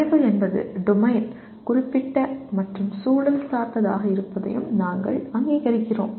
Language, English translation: Tamil, And we also recognize knowledge is domain specific and contextualized